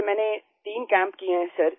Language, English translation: Hindi, Sir, I have done 3 camps